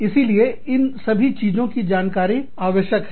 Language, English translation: Hindi, So, all of these things, need to be found out